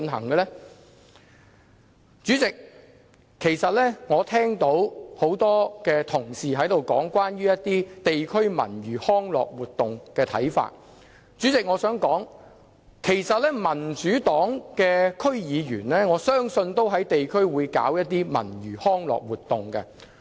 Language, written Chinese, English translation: Cantonese, 代理主席，其實我聽到很多同事提及對地區文娛康樂活動的看法，我想說，我相信民主黨的區議員會在地區舉辦文娛康樂活動。, Deputy President many colleagues here talked about their views on district leisure and recreational facilities . I wish to say that I believe DC members from the Democratic Party will organize cultural and recreational activities in the community